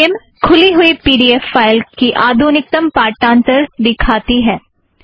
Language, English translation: Hindi, Skim shows the latest version of the opened pdf file